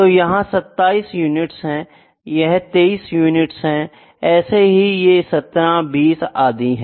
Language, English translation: Hindi, So, this is 27 units this is 23 units 17 20 and 17 units